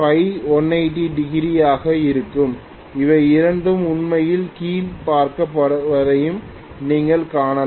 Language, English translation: Tamil, You can also see that when phi becomes 180 both of them will be actually looking down